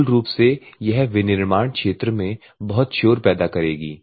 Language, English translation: Hindi, Basically it will create lot of noise in the manufacturing area